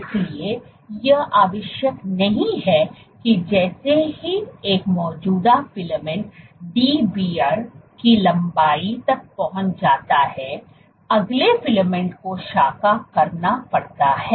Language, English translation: Hindi, So, it is not necessary that as soon as an existing filament becomes Dbr, reaches a length of Dbr, the next filament has to branch